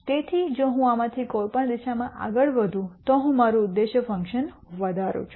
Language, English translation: Gujarati, So, if I move in any of these directions I am going to increase my objective function